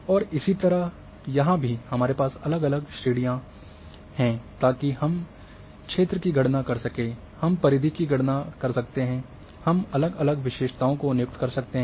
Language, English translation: Hindi, And similarly like here, that we are having different categories so we can do the calculation of area, we can do the calculation of perimeter we can assign different attributes there